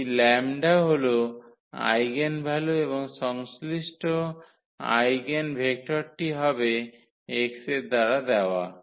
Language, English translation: Bengali, This lambda is the eigenvalue and the corresponding eigenvector will be given by x